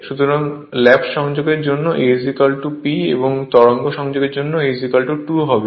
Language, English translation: Bengali, So, for lap connection A is equal to P, and for wave connection A is equal to 2 right